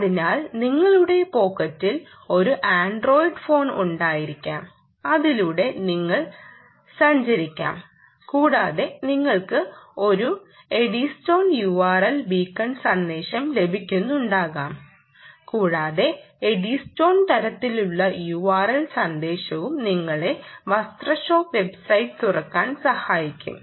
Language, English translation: Malayalam, so you could be having an android phone in your pocket and you could be walking across and you could be receiving an eddystone u r l type of beacon message and that eddystone type of u r l message essentially will make you open up ah, the garment shop website